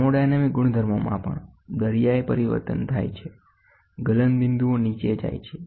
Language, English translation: Gujarati, Thermodynamic properties also undergo a sea change, melting points go down